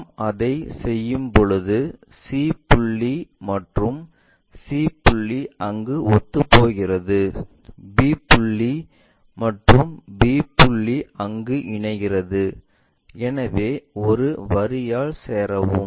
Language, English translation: Tamil, When we do that c point and c point coincides there, b point and our b point coincides there, so join by a line